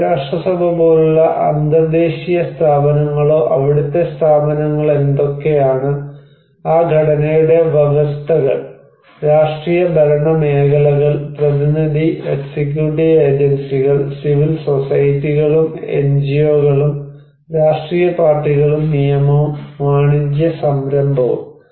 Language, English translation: Malayalam, International like United Nations or institutions like what are the institutions there, what are the conditions of that structure, political, administrative sectors, representative, executive agencies, civil societies and NGOs, political parties and law, commercial enterprise